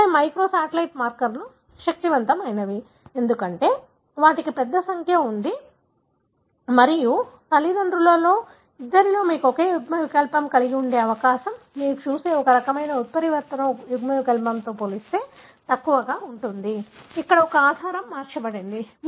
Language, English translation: Telugu, That is where the microsatellite markers are powerful, because they have a large number and the, the probability that you would have same allele in both the parents is less as compared to this kind of mutant allele that you see, where one base is changed with the other